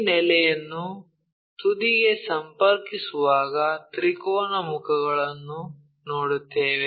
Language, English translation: Kannada, When you are connecting this base all the way to vertex, we will see triangular faces